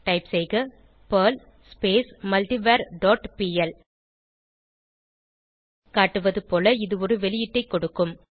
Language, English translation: Tamil, by typing perl multivar dot pl This will produce an output as highlighted